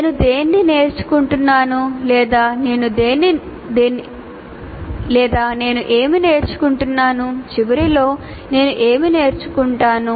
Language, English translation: Telugu, Why am I learning this or what is it that I am learning at the end